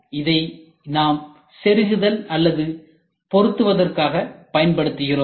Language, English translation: Tamil, So, where in which we use it for insertion or fixing